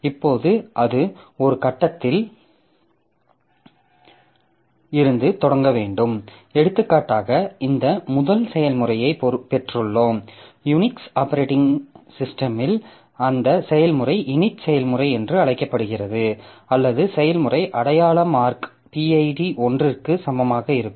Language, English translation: Tamil, So, we have got this first process which is, for example, in the Unix operating system that process is known as the init process, that is or the initialization process which is assigned the process identification mark PID as equal to 1